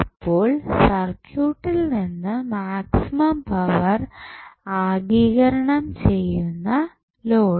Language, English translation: Malayalam, So, the load which will absorb maximum power from the circuit